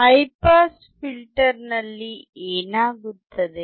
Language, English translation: Kannada, What happens in high pass filter